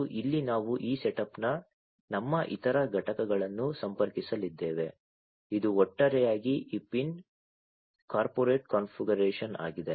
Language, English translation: Kannada, And this is where we are going to connect our other components of this setup, this is this pin corporate configuration overall